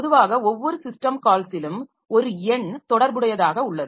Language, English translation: Tamil, Typically a number is associated with each system call